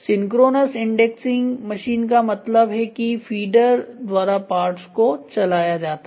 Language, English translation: Hindi, So, synchronous indexing machine means the parts are fed by feeder